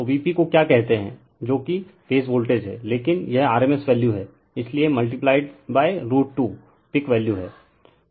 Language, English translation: Hindi, So, V p is the your what you call that is the phase voltage, but it rms value, so multiplied by root 2 is peak value